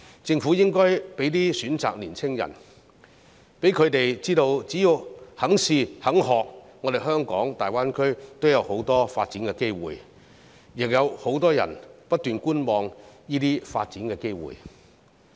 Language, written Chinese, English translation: Cantonese, 政府應該為青年人提供一些選擇，讓他們知道只要肯嘗試、肯學習，在大灣區也有很多發展機會，亦有很多人不斷觀望這些發展機會。, The Government should provide young people with certain choices so that they will know that as long as they are willing to give it a try and learn there are many development opportunities in the Greater Bay Area . Many people keep adopting a wait - and - see attitude towards such development opportunities